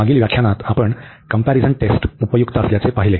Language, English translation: Marathi, So, in the previous lecture we have seen very useful comparison test